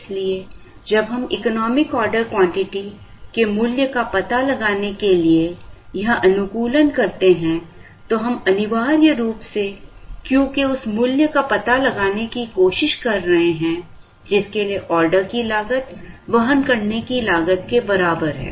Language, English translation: Hindi, So, when we do this optimization to find out the value of the economic order quantity, we are essentially trying to find out that value of Q, for which the order cost is equal to carrying cost